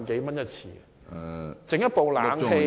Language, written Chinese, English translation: Cantonese, 維修一部冷氣機......, The repair of an air - conditioner